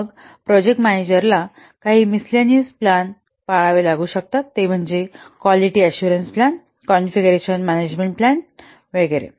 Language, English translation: Marathi, Then the project managers may have to follow some mislinous plans where the equalist assurance plan, configuration management plan, etc